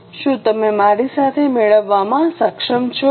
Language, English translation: Gujarati, Are you able to get it with me